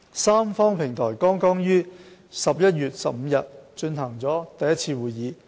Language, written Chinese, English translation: Cantonese, 三方平台剛於11月15日進行第一次會議。, The Tripartite Platform held its first meeting on 15 November